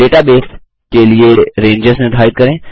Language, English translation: Hindi, How to define Ranges for database